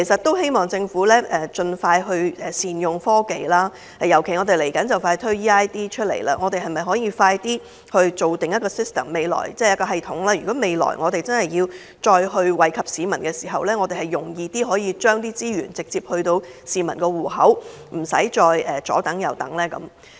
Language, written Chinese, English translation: Cantonese, 我希望政府就此能夠善用科技，既然快將推出 eID， 政府是否可以加緊建立一個系統，以便日後採取惠民措施時，可以簡易地把錢直接存進市民帳戶，而無須市民久等？, I hope that the Government will deploy technology to give relief . With the advent of eID can the Government do more to develop a system so that relief money can be handed out to beneficiaries easily and directly in future through bank transfer without having to keep them waiting?